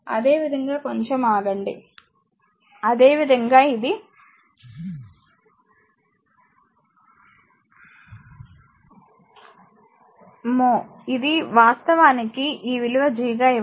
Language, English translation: Telugu, Similarly, just hold on, similarly this is mho this is actually this value is G is given, this is 0